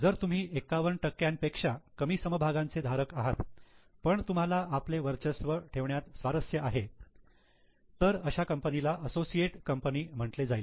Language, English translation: Marathi, If we hold less than 51 but have a dominating interest in that, it will be considered as an associate company